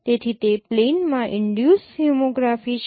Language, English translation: Gujarati, So that is a plane induced homography